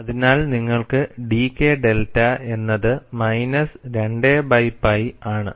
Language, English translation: Malayalam, So, you have dK delta equal to minus 2 by pi